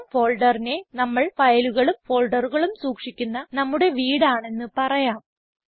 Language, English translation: Malayalam, We can say that the Home folder is our house where we can store our files and folders